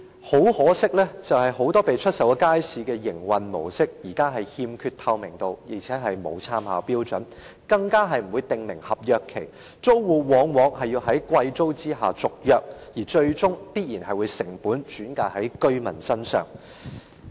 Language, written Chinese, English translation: Cantonese, 很可惜，很多已售出的街市的營運模式現時欠缺透明度，亦沒有參考標準，更不會訂明合約期，租戶往往要在支付昂貴租金的條件下續約，最終必然會將成本轉嫁居民身上。, Regrettably now the mode of operation of many markets which have been sold lacks transparency . There is no standard for reference and the contract period will not be specified either . Very often the tenants have to renew the contract on the condition that they pay exorbitant rents